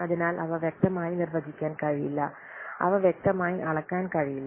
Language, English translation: Malayalam, So they cannot be clearly defined, they cannot be clearly measured